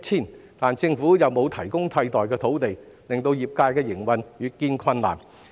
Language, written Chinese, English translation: Cantonese, 然而，政府沒有提供替代土地，令業界的營運越見困難。, However the Government has not provided alternative sites making the operation of the trade increasingly difficult